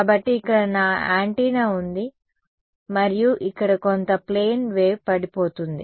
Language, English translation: Telugu, So, here is my antenna over here and there is some plane wave falling on it over here